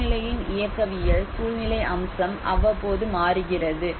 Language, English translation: Tamil, The dynamics of the situation, the situational aspect changes from time to time